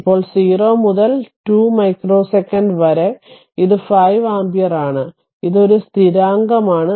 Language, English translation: Malayalam, Now, therefore, in between your 0 to 2 micro second, it is 5 ampere, it is 5 ampere